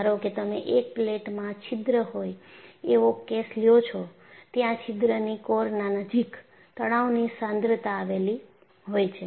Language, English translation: Gujarati, Suppose you take the case of a plate with a hole, you have stress concentration near the hole boundary